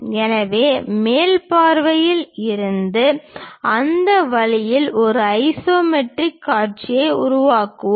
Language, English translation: Tamil, So, from the top view we will construct isometric view in that way